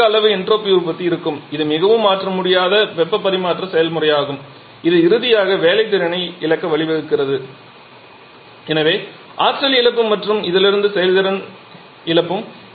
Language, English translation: Tamil, So, significant amount of entropy generation will be there and therefore it is a highly irreversible heat transfer process which finally leads to the loss of work potential and hence loss of energy and loss of efficiency from this